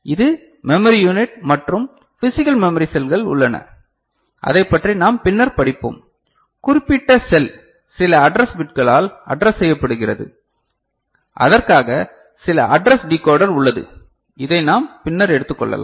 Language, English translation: Tamil, And this is the memory unit and there are physical memory cells more about that we shall study later right and that particular cell is addressed by some address bits for which certain address decoder is there so, this we shall take up later